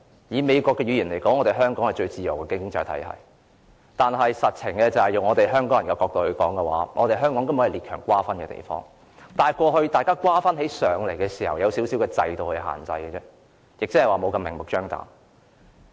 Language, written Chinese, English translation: Cantonese, 以美國的語言來說，香港是最自由的經濟體系，但從香港人的角度而言，香港實際根本是列強瓜分的地方，只是過去列強瓜分時，受到一點制度限制，沒有這麼明目張膽。, Using the language of the United States Hong Kong is the freest economy in the world; but to Hong Kong people Hong Kong is actually a place which has been carved up by the big powers . After it was carved up there were some regulations under the systems and so illegal dealings would not be done so blatantly